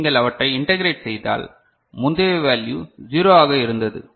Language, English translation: Tamil, Then if you integrate so, earlier value was 0